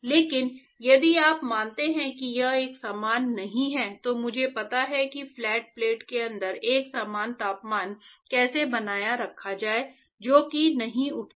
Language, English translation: Hindi, Right, but that is if you assume that it is not uniform I know how to maintain a uniform temperature inside the flat plate that is not arise